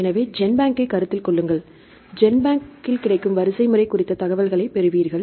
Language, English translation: Tamil, So, consider GenBank you will get the information regarding the sequence available in GenBank